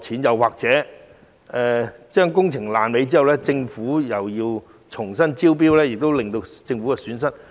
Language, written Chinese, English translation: Cantonese, 又或在工程"爛尾"後，政府需否重新招標，因而蒙受損失？, Will it be necessary for the Government to invite tenders again after non - delivery of works projects and hence sustain losses?